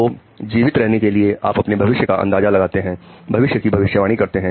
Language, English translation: Hindi, So to survive, you have to anticipate the future, predict the future